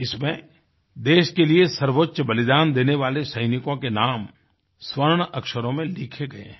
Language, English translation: Hindi, This bears the names of soldiers who made the supreme sacrifice, in letters of gold